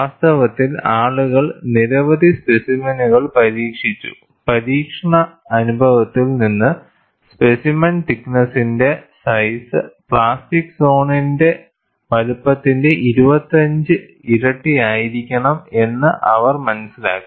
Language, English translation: Malayalam, In fact, people have tested several specimens; from testing experience, they have arrived at the size of the specimen thickness should be, 25 times the plastic zone size